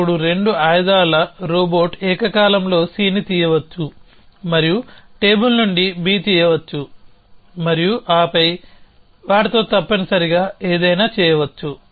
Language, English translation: Telugu, Then the 2 arms robot could have simultaneously picked up C from and picked up B from the table and then something with them essentially